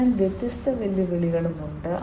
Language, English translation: Malayalam, So, there are different challenges as well